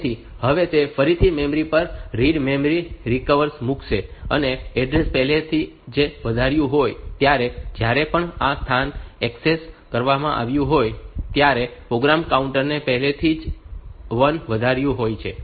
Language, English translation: Gujarati, So now it will again put a read memory read request onto the onto the memory to the memory, and with the address already incremented by one whenever this location has been access the program counter has already been incremented by 1